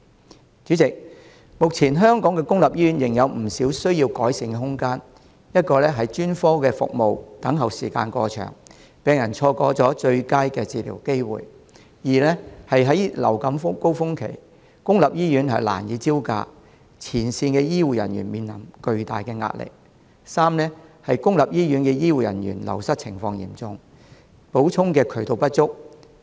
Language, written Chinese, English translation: Cantonese, 代理主席，目前香港公立醫院仍有不少需要改善的空間：一是專科服務等候時間過長，病人錯過最佳的治療機會；二是在流感高峰期，公立醫院難以招架，前線醫護人員面臨巨大壓力；三是公立醫院醫護人員流失情況嚴重，補充的渠道不足。, Deputy President public hospitals in Hong Kong at present still have quite some room for improvement Firstly the waiting time for specialist services is so long that patients will miss the golden opportunity for treatment . Secondly it is difficult for public hospitals to cope with the influenza peaks during which frontline healthcare personnel also face tremendous pressure . Thirdly while the wastage of healthcare personnel in public hospitals is serious there are insufficient channels to attract new blood